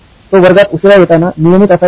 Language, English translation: Marathi, He was a regular at coming late to class